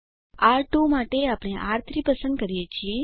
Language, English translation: Gujarati, For R2 we choose R3